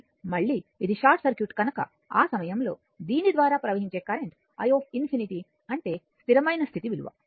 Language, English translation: Telugu, So, again it is short circuit, at that time current flowing through this is i infinity that is the steady state value right